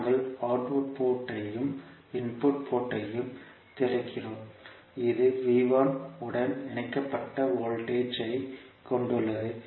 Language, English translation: Tamil, We are opening the output port and the input port we have a voltage connected that is V 1